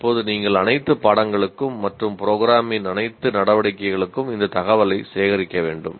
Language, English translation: Tamil, Now you have to collect this information for all the courses and all the activities of the program